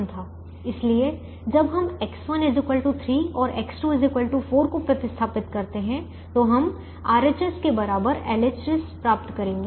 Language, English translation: Hindi, so when we substitute x one equal to three and x two equal to four, we will get l h s equal to r h s